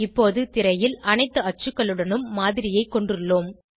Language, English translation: Tamil, We now have the model on screen with all the axes